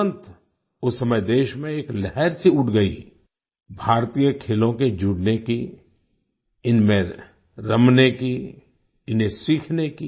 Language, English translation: Hindi, Immediately at that time, a wave arose in the country to join Indian Sports, to enjoy them, to learn them